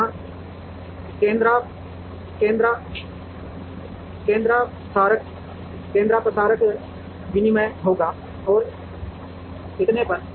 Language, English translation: Hindi, So, there centroids will exchange and so on